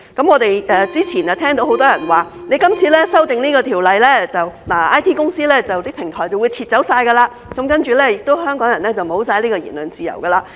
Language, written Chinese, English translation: Cantonese, 我們之前聽到很多人表示，經這次修例後 ，IT 公司、平台便會全部撤走，然後香港人亦會完全沒有言論自由。, We have heard many people say that after this amendment to the legislation IT companies and platforms will all leave Hong Kong and then Hong Kong people will have no freedom of speech at all